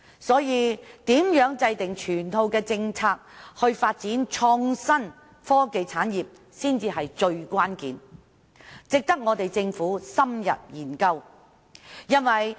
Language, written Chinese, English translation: Cantonese, 所以，如何制訂整套政策以發展創新科技產業，才是最關鍵的問題，值得政府深入研究。, For this reason how to formulate a full set of initiatives for the development of the innovation and technology industry is the most crucial issue which warrants an in - depth study by the Government